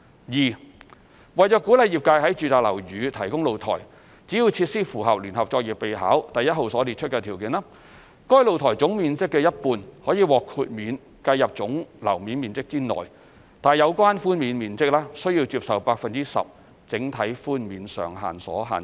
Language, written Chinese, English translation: Cantonese, 二為鼓勵業界在住宅樓宇提供露台，只要設施符合《聯合作業備考》第1號所列出的條件，該露台總面積的一半可獲豁免計入總樓面面積內，但有關寬免面積須受 10% 整體寬免上限所限。, 2 To encourage the provision of balconies in residential buildings if the balcony meets the criteria set out in JPN No . 1 50 % of its area may be exempted from GFA calculation . Such exempted areas will however be subject to the overall 10 % cap on GFA concessions